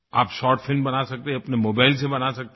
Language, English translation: Hindi, You can make a short film even with your mobile phone